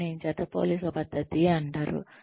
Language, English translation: Telugu, This is called paired comparison method